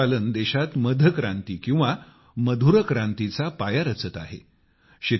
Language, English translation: Marathi, Bee farming is becoming the foundation of a honey revolution or sweet revolution in the country